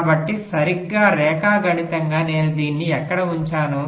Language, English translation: Telugu, so, exactly, geometrically, where do i place this